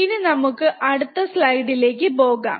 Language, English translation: Malayalam, So, we go to the next slide, what is the next slide